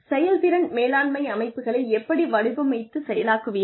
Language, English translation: Tamil, How do you design and operate, performance management systems